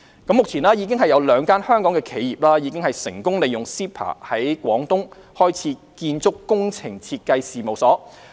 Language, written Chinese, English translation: Cantonese, 目前有兩間香港企業已成功利用 CEPA 在廣東開設建築工程設計事務所。, At present two Hong Kong enterprises have successfully made use of CEPA to set up architectural and engineering design offices in Guangdong